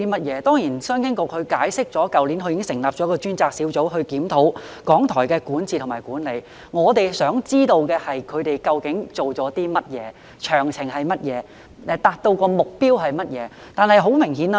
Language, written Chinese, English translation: Cantonese, 局長在主體答覆中解釋，商經局已於去年成立專責小組，負責檢討港台的管治及管理，但我們想知道當局究竟做了些甚麼，詳情為何，以及達到了甚麼目標。, The Secretary explained in the main reply that CEDB established a dedicated team last year to review the governance and management of RTHK but we wish to know what exactly the authorities have done what the details are and what objectives have been accomplished